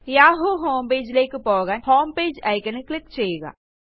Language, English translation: Malayalam, Click on the Homepage icon to go to the yahoo homepage